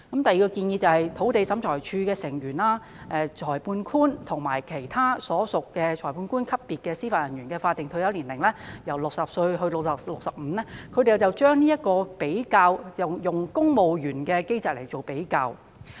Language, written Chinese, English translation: Cantonese, 第二項建議是將土地審裁處成員、裁判官及其他屬裁判官級別的司法人員的法定退休年齡，由60歲提高至65歲，這是與公務員的機制作比較後得出。, The second recommendation is to raise the statutory retirement ages for Members of the Lands Tribunal Magistrates and other Judicial Officers at the magistrate level from 60 to 65 which is made after making a comparison with the mechanism for civil servants